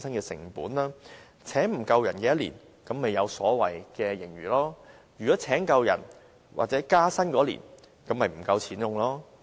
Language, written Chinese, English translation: Cantonese, 如果未能聘請足夠人手，該年度便有所謂的盈餘；如能聘請足夠人手或員工獲得加薪，該年度便不夠錢用。, If adequate manpower is not recruited a so - called surplus will be recorded in a certain year . However if adequate manpower is recruited or pay rises are offered to employees there will not be enough money to spend in a certain year